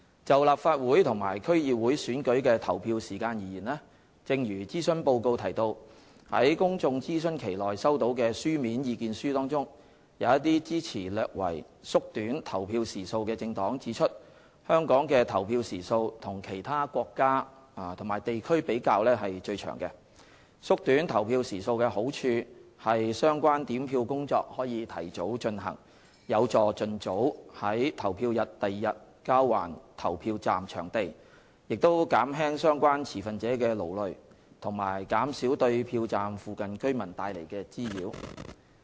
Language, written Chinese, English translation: Cantonese, 就立法會和區議會選舉的投票時間而言，正如諮詢報告提到，在公眾諮詢期內收到的書面意見書中，一些支持略為縮短投票時數的政黨指出香港的投票時數與其他國家及地區比較是最長的，縮短投票時數的好處是相關點票工作可提早進行，有助盡早於投票日翌日交還投票站場地，亦減輕相關持份者的勞累及減少對票站附近居民帶來的滋擾。, In respect of the polling hours of Legislative Council and District Council DC elections as mentioned in the Consultation Report among the written submissions received during the public consultation period the political parties which supported slightly shortening the polling hours pointed out that Hong Kongs polling hours were the longest as compared to other countries and regions . The advantages of shortening the polling hours are that the relevant counting work can commence earlier thereby enabling the venues of the polling stations to be returned as early as possible on the day after the polling day alleviating the fatigue suffered by the stakeholders concerned as well as lessening the disturbance caused to the neighbourhood of the counting stations